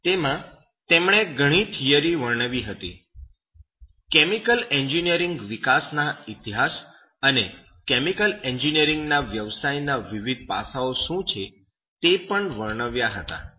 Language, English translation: Gujarati, ” There he described a lot of theory, even the development history of chemical engineering and what are the different aspects of the professions of chemical engineering